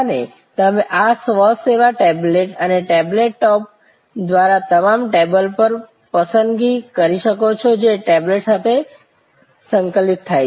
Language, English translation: Gujarati, And you can make selection on your table through this self service tablet and a table top, which integrates with the tablet